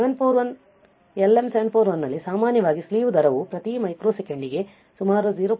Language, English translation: Kannada, In case of 741 LM741 the typically slew rate is between about 0